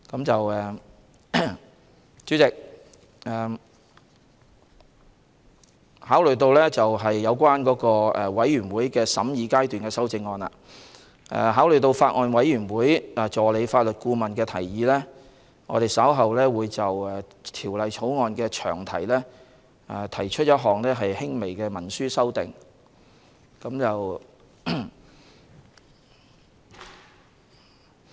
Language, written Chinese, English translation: Cantonese, 主席，有關全體委員會審議階段修正案，考慮到法案委員會的法律顧問的提議，我們稍後會就《條例草案》的詳題提出一項輕微行文修訂。, President about the Committee stage amendment in the light of the recommendation made by the Legal Adviser to the Bills Committee we will shortly move a slight textual amendment to the long title of the Bill